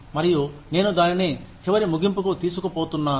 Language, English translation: Telugu, And, I am going to take it, to its final conclusion